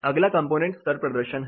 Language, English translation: Hindi, Next is the component level performance